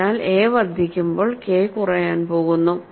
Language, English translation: Malayalam, So, when a increases, K is going to decrease